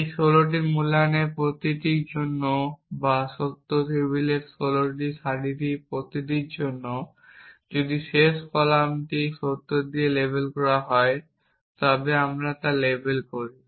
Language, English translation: Bengali, For each of these 16 valuations or each of the sixteen rows in the truth table if the last column is label with true then we label then we say the sentence is valid